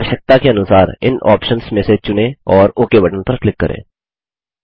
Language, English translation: Hindi, Choose from these options as per your requirement and then click on the OK button